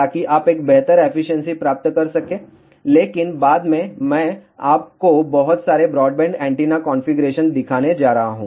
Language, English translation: Hindi, So, that you can get a better efficiency, but later on I am going to show you lot of broadband antenna configurations